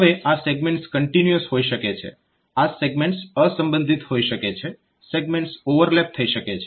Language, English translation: Gujarati, Now, this segments may be continuous, so segments may be disjoint, segments may be overlapping